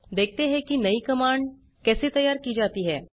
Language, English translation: Hindi, Lets take a look at how a new command is created